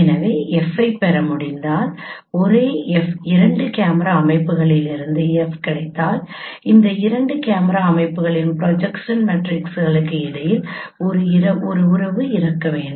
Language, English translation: Tamil, So this we discuss that if we can derive f, if we get f from two camera systems the same f, then there should be a relationship between the projection matrices of these two camera systems